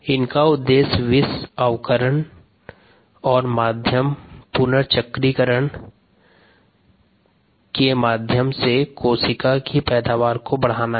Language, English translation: Hindi, the aim is to enhance cell yields through toxin reduction and medium re circulation